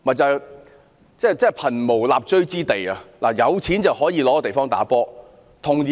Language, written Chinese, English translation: Cantonese, 這真是貧無立錐之地，但有錢人則可有地方打球。, While the poor have no place for dwelling the rich are provided with a vast area for playing golf